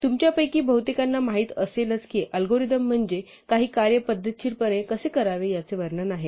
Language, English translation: Marathi, As most of you probably know, an algorithm is a description of how to systematically perform some task